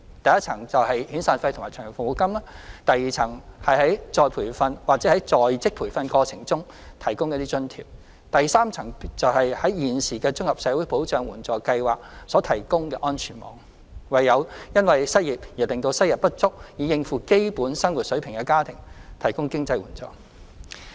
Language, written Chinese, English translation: Cantonese, 第一層是遣散費/長期服務金，第二層是於再培訓或在職培訓過程中提供津貼，第三層便是現時綜合社會保障援助計劃所提供的安全網，為因失業而令收入不足以應付基本生活水平的家庭提供經濟援助。, The first tier is severance paymentlong service payment . The second tier is the allowance provided during retraining or in - service training . The third tier is the safety net under the existing Comprehensive Social Security Assistance CSSA Scheme providing financial assistance for families who are unable to maintain a basic living due to the lack of financial means during unemployment